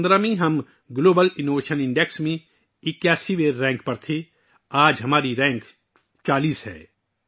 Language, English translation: Urdu, In 2015 we were ranked 81st in the Global Innovation Index today our rank is 40th